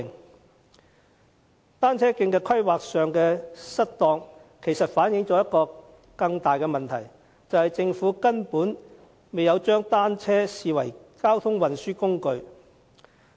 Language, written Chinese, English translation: Cantonese, 當局在單車徑規劃上的失當，反映一個更大的問題，便是政府根本未有將單車視為交通運輸工具。, The maladministration of the authorities in planning cycle track networks reflects a more serious problem of the Government never regarding bicycles as a mode of transport